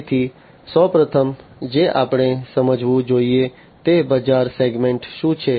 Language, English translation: Gujarati, So, the first one that we should understand is what is the market segment